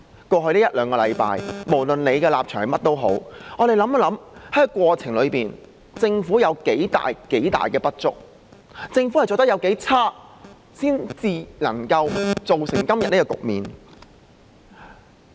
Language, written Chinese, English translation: Cantonese, 在過去一兩星期，無論大家持甚麼立場，讓我們想想在這過程中政府有多少不足，政府做得有多差，然後才造成今天的局面。, Regarding the events that occurred over the past one or two weeks let us put aside our stances and identify how the inadequacies and poor performance of the Government in the course have led to the situation today